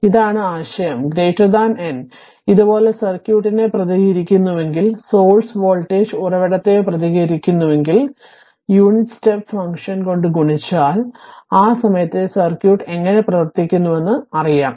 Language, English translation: Malayalam, So, that is the idea rather than then moving like this, if we represent circuit, if we represent the source voltage source or current source right, by we multiplied by unit your step function, how when we will solve the circuit at that time we will know how it behaves, right